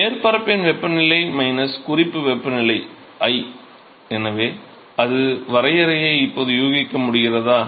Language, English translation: Tamil, So, the surface temperature minus the reference temperature i; so, that is the definition